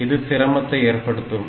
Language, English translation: Tamil, So, that makes it difficult